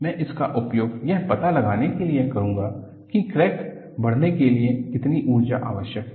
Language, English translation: Hindi, I will use it for finding out what is the energy required for fracture growth